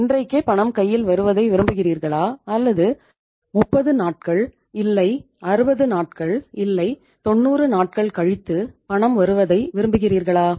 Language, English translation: Tamil, Would you like to have the payment today or you would like to have the payment after 30 days or 60 days or 90 days